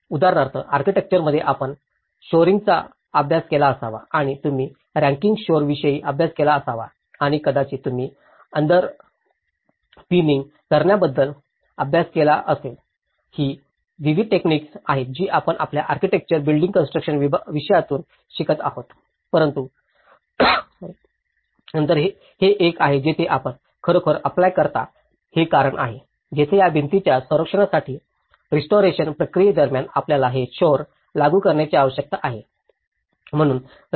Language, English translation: Marathi, For example, in architecture we might have studied shoring and you might have studied about raking shores and you might have studied about underpinning so, these are various techniques which we learn from our architecture building construction subject but then this is one, where you really apply it because this is where, in order to protect this wall and during the restoration process, you need to apply these shores